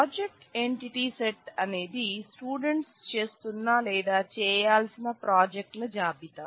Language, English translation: Telugu, So, the project entity set is a list of projects being done by the students or to be done by the students